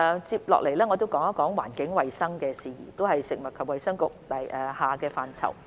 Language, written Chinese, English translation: Cantonese, 接下來，我談談環境衞生的事宜，這亦是食衞局轄下的範疇。, Next I will talk about environmental hygiene which is also under the purview of FHB